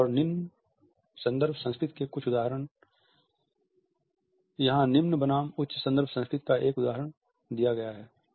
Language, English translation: Hindi, Some examples of higher and lower context culture; here is an example of low versus high context culture